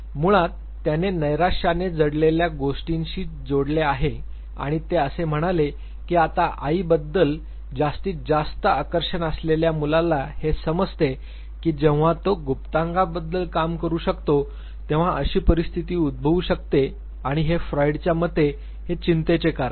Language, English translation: Marathi, Which he attached to depress complex basically he said that the male child having now maximum fascination for the mother realizes that there could be situation when he, private part could be castrated and this is source of anxiety according Freud